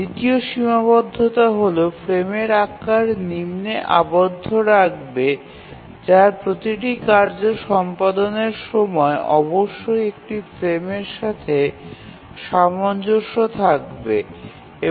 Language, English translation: Bengali, The second constraint will put a lower bound on the frame size, which is that the execution time of each task must be accommodated in one frame